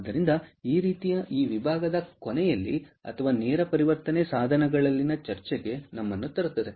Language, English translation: Kannada, so that kind of brings us to the end of this section or discussion on direct conversion devices